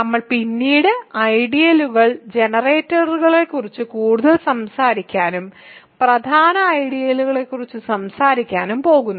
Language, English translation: Malayalam, So, we are going to talk more about generators of ideals later and talk about principal ideals